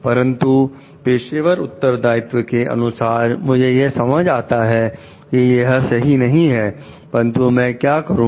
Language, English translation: Hindi, But the professional responsibilities I understand like this is not the correct, but what do I do